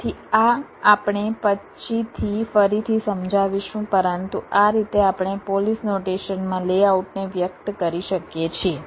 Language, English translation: Gujarati, so this we shall again explain later, but this is how we can express a layout in the polish notation right now